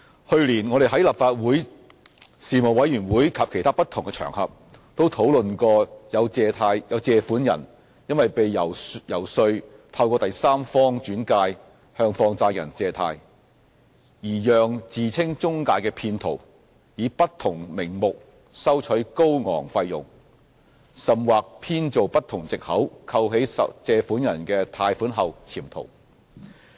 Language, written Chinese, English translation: Cantonese, 去年，我們在立法會的事務委員會及其他不同場合，都討論過有借款人因為被遊說透過第三方轉介向放債人借貸，而讓自稱中介的騙徒以不同名目收取高昂費用，甚或編造不同藉口扣起借款人的貸款後潛逃。, Last year in the relevant Panel of the Legislative Council and on various other occasions discussions were held on borrowers being persuaded to borrow from money lenders through referrals by a third party and being charged exorbitant fees under different pretexts by fraudsters who claimed themselves to be intermediaries and even being deceived by fraudsters who absconded after withholding their loans under different pretexts